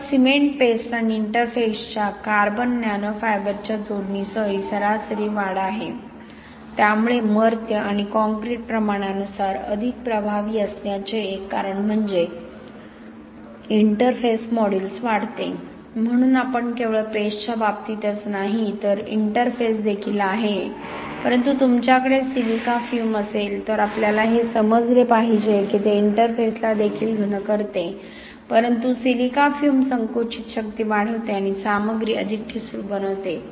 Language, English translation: Marathi, So this is average increase with addition of carbon nano fiber of cement paste and interface, so one of the reasons why mortal and concrete were proportionately more effective is that the interface modulus increases, so you only, not only in case paste but also interface but we have to realise when you have a, let us say if you have a silica fume, it also densifies the interface but silica fume increases the compressive strength and but makes material more brittle, here we do not really increases much compressive strength and as I showed you before material is not more brittle